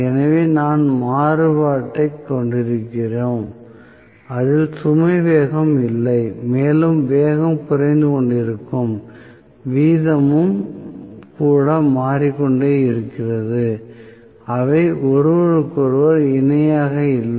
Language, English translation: Tamil, So, we are having variation in the no load speed itself and even the rate at which the speed is decreasing that is also changing so they are not parallel to each other